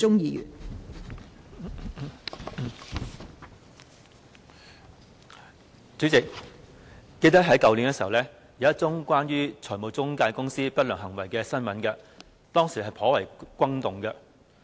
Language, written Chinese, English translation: Cantonese, 代理主席，我記得去年有一宗關於財務中介公司不良行為的新聞，當時亦頗為轟動。, Deputy President I remember that last year there were news reports about a case relating to the unscrupulous practices of financial intermediaries which caused quite an uproar at the time